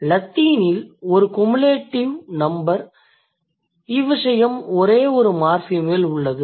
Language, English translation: Tamil, In case of Latin we have a cumulative number and case which is assigned on only one morphem